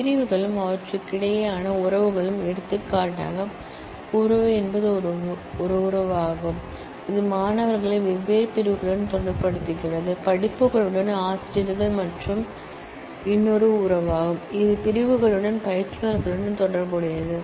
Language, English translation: Tamil, The sections and the relationships between them for example, the relationship is takes is a relationship, which relates students with different sections, with courses, teachers is another relationship, which relates to instructors with sections